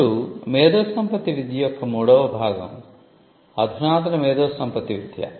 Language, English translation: Telugu, Now, the third part of IP education is the advanced IP education